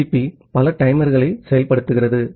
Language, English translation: Tamil, TCP has multiple timers implementation